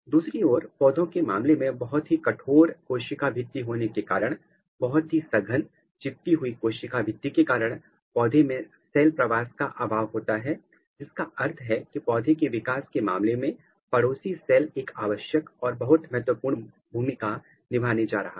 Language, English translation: Hindi, Whereas, in case of plant due to presence of a very rigid cell wall, very tightly glued cell wall the plant lack the cell migration which means that the neighboring cell in case of plant development is going to play a very very crucial and very important role